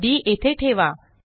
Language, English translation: Marathi, Put d here